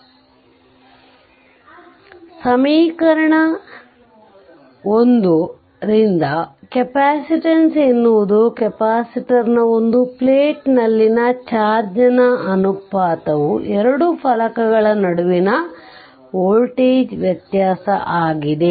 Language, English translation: Kannada, So, from equation 1, one may we may define that capacitance is the ratio of the charge on one plate of a capacitor to the voltage difference between the two plates right